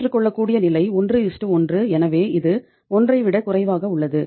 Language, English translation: Tamil, Acceptable level is 1:1 so it is less than 1